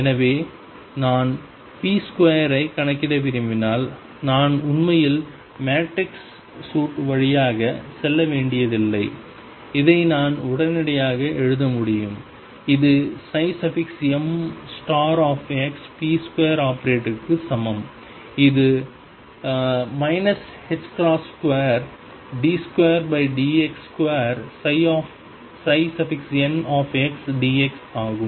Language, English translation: Tamil, So, if I want to calculate p square I do not really have to go through the matrix suit, I can straightaway write this is equal to psi star m x p square operator which is minus h cross square d 2 by d x square psi n x d x